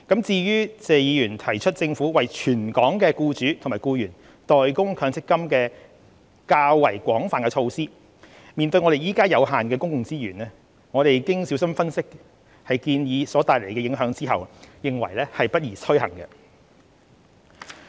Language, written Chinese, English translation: Cantonese, 至於謝議員提出政府為全港僱主及僱員代供強積金的較廣泛措施，面對現時有限的公共資源，政府經小心分析建議所帶來的影響後，認為不宜推行。, As for Mr TSEs suggestion for the Government to make MPF contributions for all employers and employees in Hong Kong this is a measure with much wider implication . The Government has carefully analysed the impact of the proposal . Given the finite public resources at present we consider it not appropriate to implement the suggestion